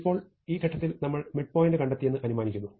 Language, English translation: Malayalam, Now, we examine at this point we have found the midpoint